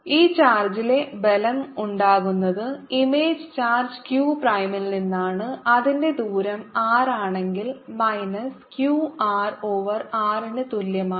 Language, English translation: Malayalam, the force on this charge arises from the image charge, q prime, which is equal to minus q r over r if its distance is r